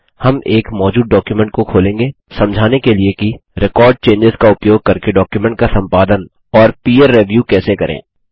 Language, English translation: Hindi, We will open an existing document to explain how to peer review and edit a document using Record Changes option